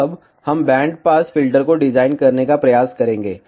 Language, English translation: Hindi, Now, we will try to design band pass filter